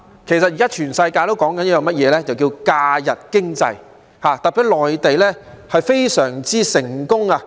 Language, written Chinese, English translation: Cantonese, 現在全世界也在談論假日經濟，特別是內地，非常成功。, At present the whole world is talking about the impact of holidays on the economy and the Mainland is a particularly successful example